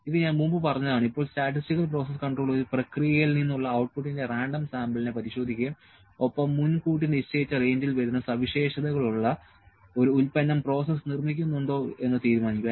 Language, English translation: Malayalam, This I have said before, now statistical process control involves inspecting a random sample of the output from a process and deciding whether the process is producing a product with the characteristics that fall in the predetermined range